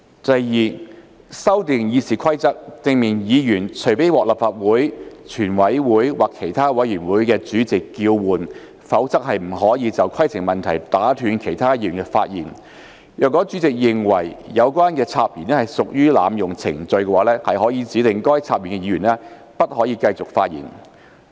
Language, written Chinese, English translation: Cantonese, 第二，修訂《議事規則》，訂明議員除非獲立法會、全委會或其他委員會的主席叫喚，否則不得就規程問題打斷其他議員的發言；若主席認為有關的插言屬濫用程序，可指示該插言議員不得繼續發言。, Secondly RoP will be amended to specify that a Member shall not interrupt another Member by rising to a point of order unless called by the President in Council the Chairman in a committee of the whole Council CoWC or the chairman of any other committee; and the Member interrupting may be directed to discontinue speaking if the President in Council the Chairman in CoWC or the chairman of a committee is of the opinion that the interruption is an abuse of procedure